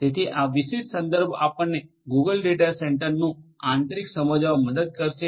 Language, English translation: Gujarati, So, this particular reference will help you to understand the Google data centre what is inside you know